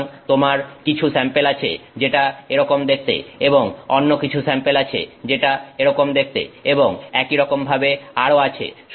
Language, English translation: Bengali, So, you have some sample that looks like that and some other sample that looks like that and so on